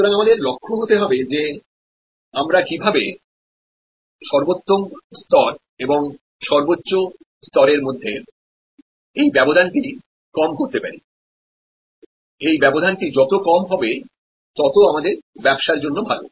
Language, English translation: Bengali, So, our aim is to see how we can reduce this gap between the optimal level and the maximum level, the more we can do that better it is